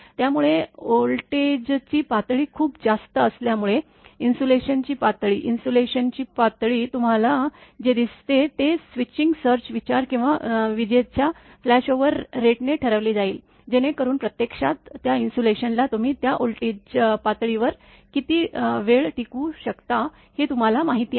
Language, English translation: Marathi, So, because voltage level is very high so, insulation level, whatever you see it will determine switching surge consideration or by the lightning flashover rate so, that actually the testing at that you know how long that insulation can sustain that you are what you call at that voltage level